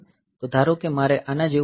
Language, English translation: Gujarati, So, suppose I have got an operation like this